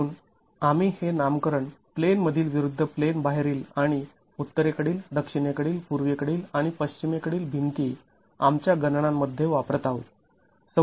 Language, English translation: Marathi, So, we will be using this nomenclature in plane versus out of plane and the northern, southern, eastern and western walls in our calculations